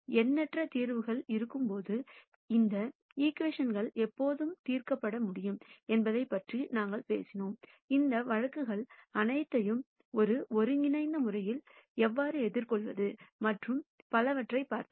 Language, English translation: Tamil, We talked about when these equations are solvable when there will be in nite number of solutions, how do we address all of those cases in a unified fashion and so on